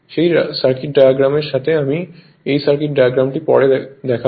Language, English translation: Bengali, With that that circuit diagram I will show you that circuit diagram I will show you later right